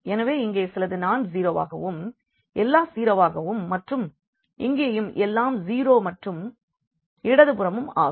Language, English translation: Tamil, So, here something non zero, everything zero then here also then everything zero and then everything zero here and the left hand side naturally